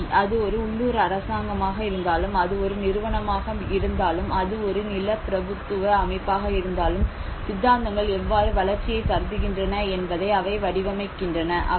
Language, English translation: Tamil, Power; whether it is a local government, whether it is an agency, whether it is a feudal system, so that is where the ideologies how they frame how they conceive the development